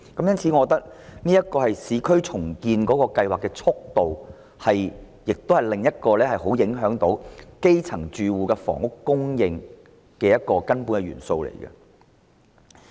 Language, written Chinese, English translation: Cantonese, 因此，我認為市區重建計劃的速度是另一項頗為影響基層住戶房屋供應的根本元素。, Therefore I consider the speed of urban redevelopment projects another fundamental factor that has considerable effect on the housing supply for grass - roots households